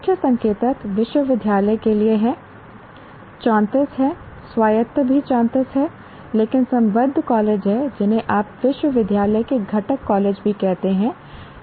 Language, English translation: Hindi, Key indicators are for university there are 34, autonomous also 34, but affiliated colleges are what do you call constituent college of the university also